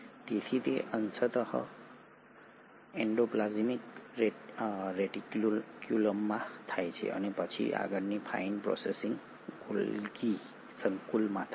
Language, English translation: Gujarati, So that happens partly in the endoplasmic reticulum and then the further fine processing happens in the Golgi complex